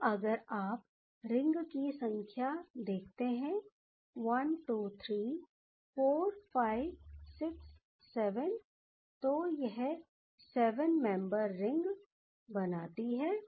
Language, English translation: Hindi, So, number of rings if you see that 1, 2, 3, 4, 5, 6, 7, so this becomes the 7 membered ring